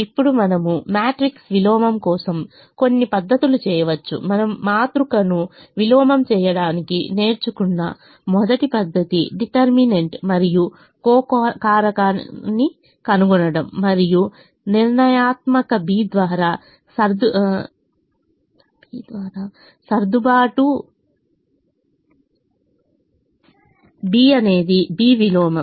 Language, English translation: Telugu, the first method that you would have learnt to invert a matrix is to find the determinant and the eco factor and the adjoint, and adjoint be by determinant, b is b inverse